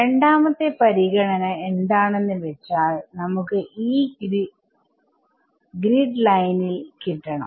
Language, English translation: Malayalam, Second consideration is we would like to have E at the grid lines where the grid lines are